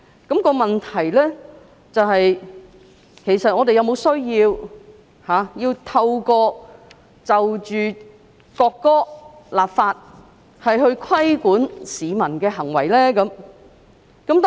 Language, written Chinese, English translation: Cantonese, 但問題是，我們是否有需要就國歌立法，以規管市民的行為呢？, But the question is whether it is necessary to enact legislation on the national anthem to govern the behaviours of the people